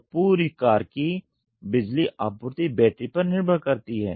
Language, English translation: Hindi, So, the power supply to the entire car depends on the battery